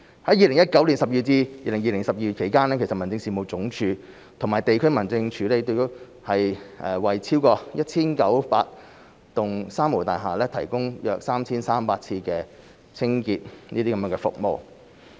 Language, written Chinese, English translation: Cantonese, 在2019年12月至2020年12月期間，民政事務總署及地區民政事務處已為超過 1,900 幢"三無大廈"提供約 3,300 次清潔服務。, From December 2019 to December 2020 the Home Affairs Department and District Offices have provided some 3 300 sessions of cleaning services to over 1 900 three - nil buildings